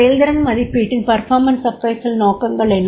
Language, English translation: Tamil, What are the objectives of the performance appraisal